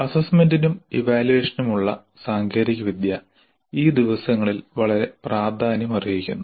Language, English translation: Malayalam, Technology for assessment and evaluation has become very important these days